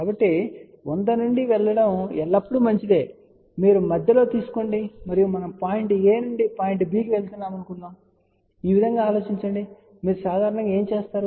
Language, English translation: Telugu, So, it is always better from 100 you take step in between and you go between; think this way that we want to go from point a to point b, what do you generally do